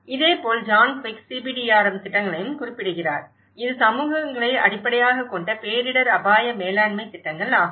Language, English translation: Tamil, Similarly, John Twigg also refers to the CBDRM projects, which is the communities based disaster risk management projects